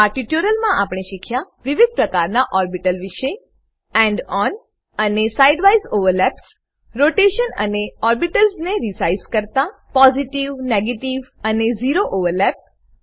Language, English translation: Gujarati, In this tutorial we have learnt, * About different types of orbitals * End on and side wise overlaps * Rotation and resize of orbitals * Positive, negative and zero overlap